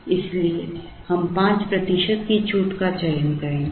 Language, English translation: Hindi, Therefore, we would choose a 5 percent discount